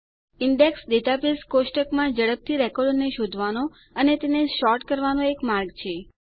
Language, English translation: Gujarati, An Index is a way to find and sort records within a database table faster